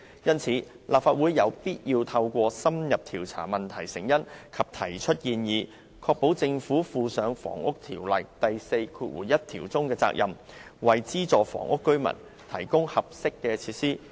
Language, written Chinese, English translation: Cantonese, 因此，立法會有必要透過深入調查問題成因及提出建議，確保政府履行《房屋條例》第41條中的責任，為資助房屋居民提供適合的設施。, It is therefore imperative for the Legislative Council to investigate in depth the causes of the problem and make suggestions so as to ensure the proper discharge of responsibilities by the Government under section 41 of the Housing Ordinance to provide residents of subsidized housing with appropriate amenities